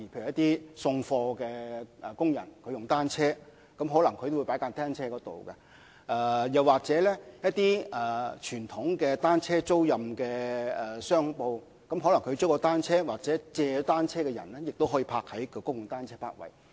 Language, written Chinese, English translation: Cantonese, 例如送貨工人使用單車送貨時，可能會把單車停泊於公共泊位，又或經傳統單車租賃商鋪租借單車的人，也可把單車停泊在公共單車泊位。, For example delivery workers who deliver goods on bicycles may park their bicycles in public parking spaces while customers of conventional bicycle rental shops may also park their rented bicycles in public bicycle parking spaces